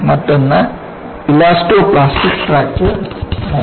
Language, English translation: Malayalam, Another one is Elastoplastic Fracture Mechanics